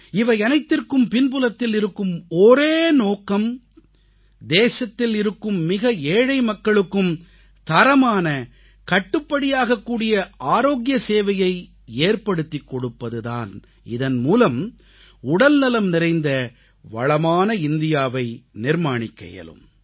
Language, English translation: Tamil, The sole aim behind this step is ensuring availability of Quality & affordable health service to the poorest of the poor, so that a healthy & prosperous India comes into being